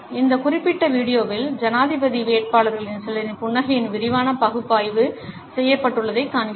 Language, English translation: Tamil, In this particular video, we find that a detailed analysis of smiles of certain us presidential candidates has been done